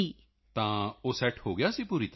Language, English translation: Punjabi, So it got set completely